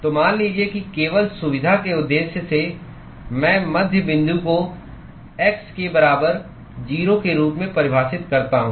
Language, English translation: Hindi, So, supposing just for sake of convenience purposes I define midpoint as x equal to 0